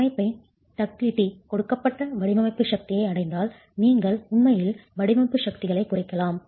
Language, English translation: Tamil, If that ductility is not available in the system, you cannot reduce the design forces